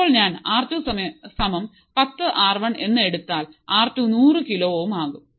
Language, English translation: Malayalam, So, if I take R1 equals to 10, R 2 would be hundred kilo ohm